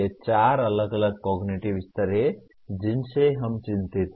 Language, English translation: Hindi, These are the four different cognitive levels we are concerned with